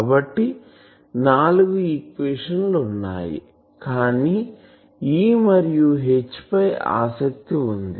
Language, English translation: Telugu, So, there are four equations, but we are interested in E and H